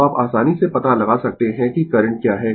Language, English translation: Hindi, So, you can easily find out what is the current i